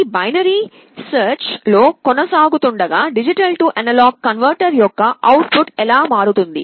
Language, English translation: Telugu, See as this binary search goes on, how the output of the D/A converter changes